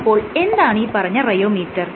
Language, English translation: Malayalam, So, what is the rheometer